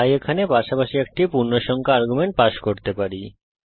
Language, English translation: Bengali, So here we can pass an integer arguments as well